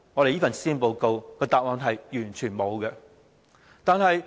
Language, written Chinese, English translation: Cantonese, 這份施政報告完全沒有答案。, This Policy Address provides absolutely no answer